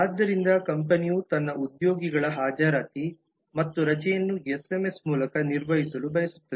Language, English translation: Kannada, so the company wants to manage the attendance and leave of its employees through lms